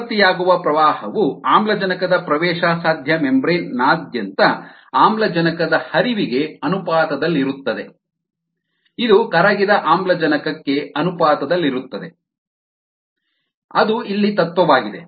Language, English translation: Kannada, the current produced is proportional to the flux of oxygen across the oxygen permeable membrane, which in turn is proportional to the dissolved oxygen